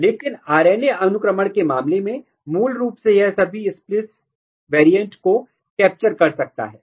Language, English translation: Hindi, But in case of RNA sequencing, basically it can capture all the splice variants